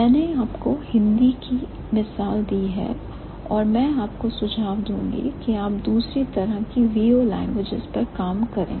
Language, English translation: Hindi, So, I have given you the example of Hindi and I would suggest you to work on the second type, the V O languages